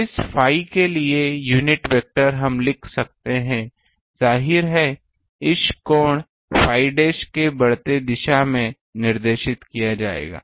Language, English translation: Hindi, The unit vector for this phi we can write; obviously, it will be directed in this the increasing direction increasing of the angle phi dash